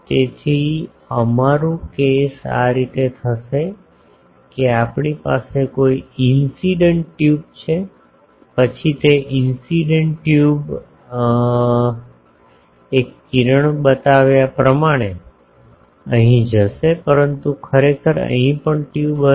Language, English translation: Gujarati, So, our case will be like this we are having an incident tube, then that incident tube will go here on the one ray is shown, but actually here also there will be tube